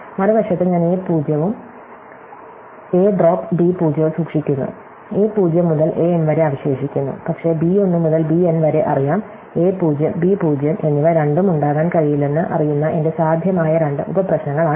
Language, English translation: Malayalam, If on the other hand, I keep a 0 and a drop b 0, then a 0 to a m remains, but knows b 1 to b n, these are my two possible subproblems knowing that both a 0 and b 0 cannot be there